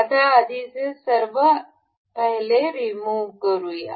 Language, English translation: Marathi, Let us remove all these earlier ones